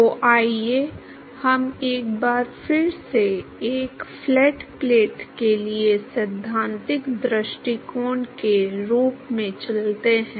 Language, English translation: Hindi, So, let us move to theoretical approach form, once again for a flat plate